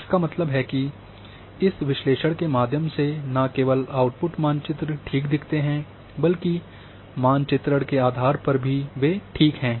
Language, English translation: Hindi, That means,not only the output maps through this analysis looks ok, but cartographically they are fine